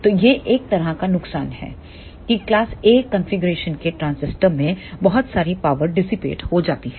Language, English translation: Hindi, So, that is one of the disadvantage of class A configuration that lot of the power is dissipated in the transistor